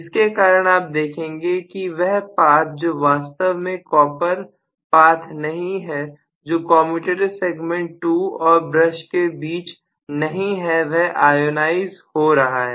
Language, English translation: Hindi, So because of which you are going to see that the path which is actually not a copper path which is existing between 2 and the brush that is going to get ionize, the air is going to get ionized